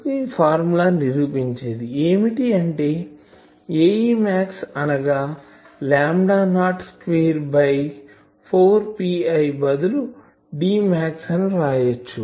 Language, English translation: Telugu, So, this formula is proved that A e max is lambda not square 4 pi instead of D max we are calling it gain